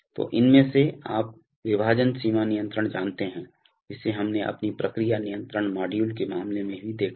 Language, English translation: Hindi, So one of these is by, you know split range control which we have also seen in the case of our process control module